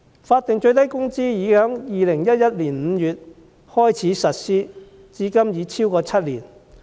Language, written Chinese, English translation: Cantonese, 法定最低工資已在2011年5月開始實施，至今已超過7年。, The implementation of the statutory minimum wage already began in May 2011 and over seven years have passed since then